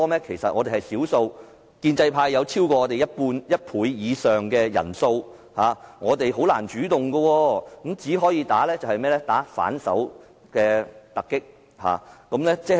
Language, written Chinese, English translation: Cantonese, 其實我們仍是少數，建制派有超過我們一倍以上人數，我們難以採取主動，只能穩守突擊。, Still being the minority actually we are unable to play the offensive against the pro - establishment camp whose number of votes are more than twice as many as ours . We can only play a counterattack